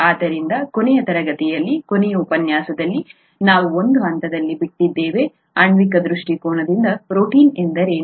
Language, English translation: Kannada, So in the last class, last lecture we left at a point, from a molecular viewpoint, what is a protein